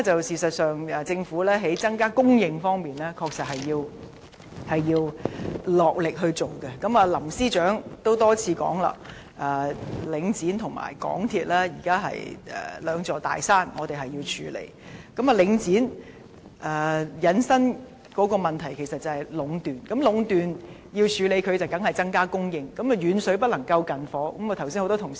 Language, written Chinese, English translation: Cantonese, 事實上，在增加供應方面，政府確實需要落力地下工夫，林鄭月娥司長也多次表示，領展和香港鐵路有限公司現時是兩座我們需要處理的大山，領展引申的是壟斷問題，要處理壟斷當然是增加供應，但遠水不能救近火，這點剛才已有多名同事提到。, Chief Secretary for Administration Carrie LAM has stated repeatedly that Link REIT and the MTR Corporation Limited are two mountains Hong Kong has to tackle currently . The problem arising from Link REIT is monopolization . The solution to the monopolization problem is increasing supply but this long - term measure is no remedy to the immediate shortage and a number of Honourable colleagues have pointed this out earlier